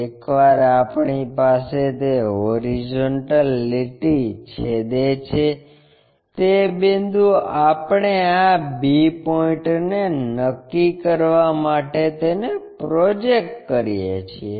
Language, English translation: Gujarati, Once, we have that horizontal line the intersection point we project it to locate this b point